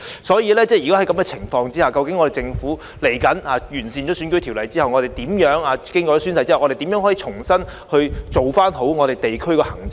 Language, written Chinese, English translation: Cantonese, 在這種情況下，究竟日後當政府完善選舉條例，以及完善公職人員宣誓安排後，可以如何重新做好地區行政呢？, They kept on doing things like these without performing any solid work . Under such circumstances how can district administration be revamped in the future after the Governments improvement to the electoral system and the oath - taking arrangements for public officers?